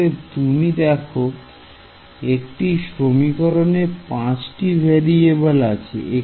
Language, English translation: Bengali, So, will you agree that this is one equation in 5 variables